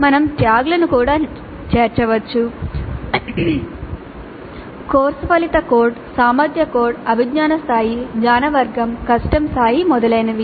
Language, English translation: Telugu, We can also include tags, course outcome code, competency code, cognitive level, knowledge category, difficulty level, etc